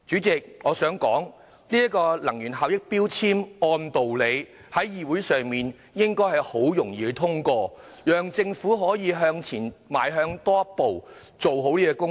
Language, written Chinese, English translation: Cantonese, 這項根據《能源效益條例》動議的擬議決議案，理應很順利獲得通過，讓政府向前邁進多一步，做好這方面的工作。, This proposed resolution under the Energy Efficiency Ordinance should have been passed smoothly so that the Government can move one step forward in doing a proper job in this regard